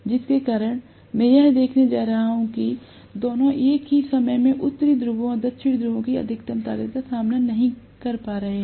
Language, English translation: Hindi, Because of which I am going to see that both of them are not facing the maximum strength of north poles and south poles at the same instant of time